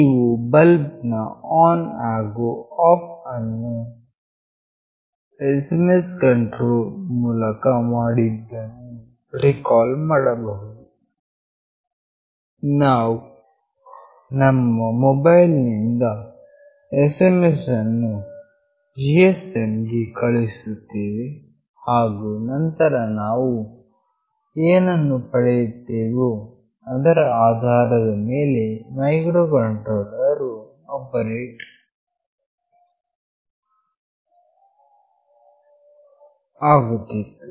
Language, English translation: Kannada, You may recall that in that bulb on off through SMS control, we were sending an SMS from our mobile to this GSM and then whatever we received based on that this microcontroller was operating